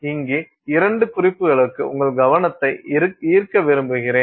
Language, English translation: Tamil, I want to draw your attention to two references here